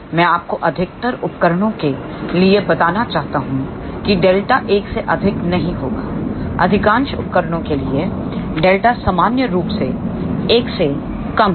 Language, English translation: Hindi, I just want to tell you for majority of the devices delta will not be greater than 1 ok, for majority of the devices delta is in general less than 1